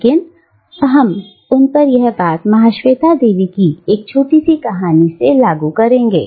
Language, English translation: Hindi, But, we will apply them to a short story by Mahasweta Devi